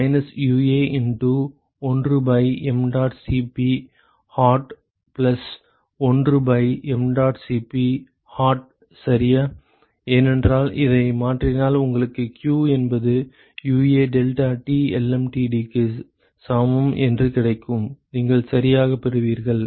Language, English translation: Tamil, Minus UA into one by mdot Cp hold plus one by mdot Cp hot ok, because if you modify this what you will get is q equal to UA deltaT lmtd what you will get ok